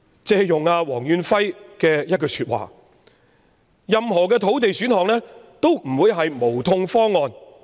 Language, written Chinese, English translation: Cantonese, 借用黃遠輝的一句話，任何土地選項也不會是"無痛方案"。, To quote from Stanley WONG no land option can be a painless proposal